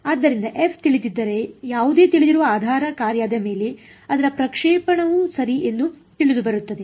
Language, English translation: Kannada, So, if f is known then its projection on any known basis function is also known right